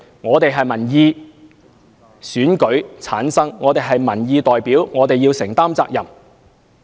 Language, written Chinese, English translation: Cantonese, 我們由選民選舉產生，是民意代表，需要承擔責任。, We are elected by voters as their representatives and we have to be accountable to them